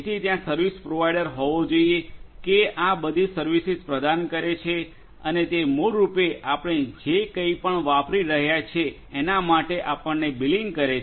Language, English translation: Gujarati, So, there has to be service provider who is offering all these services and he is basically billing us for whatever we are using